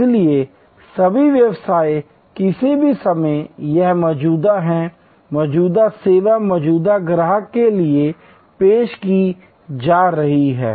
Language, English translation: Hindi, So, all businesses are here at any point of time, existing service being offer to existing customers